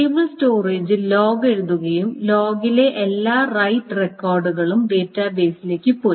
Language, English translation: Malayalam, The log is also written on the stable storage and all the right records in the log has gone to the database